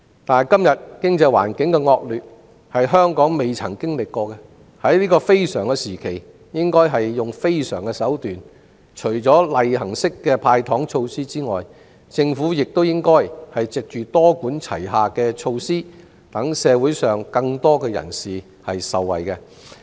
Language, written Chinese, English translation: Cantonese, 但是，今天經濟環境的惡劣是香港前所未有的，因此在這非常時期應採用非常手段，除例行式"派糖"措施外，政府亦應藉多管齊下的措施，讓社會上更多人士受惠。, The present adverse economic environment is unprecedented in Hong Kong . Hence the Government should take unusual measures at these unusual times . Aside from routine measures like handing out sweeteners it should also take multi - pronged measures to benefit more people